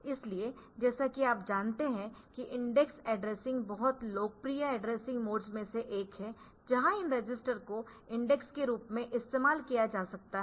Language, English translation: Hindi, So, as you know that indexed addressing is one of the very popular addressing modes where this, these registers can be used as index